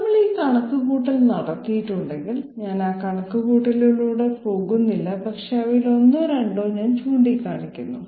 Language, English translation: Malayalam, If we have this calculation carried out, I am not going through the calculation but I will just point out one or two of them